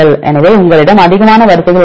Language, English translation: Tamil, So, you have more number of sequences